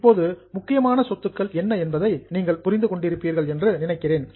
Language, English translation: Tamil, Now, I think you would have understood what are the important assets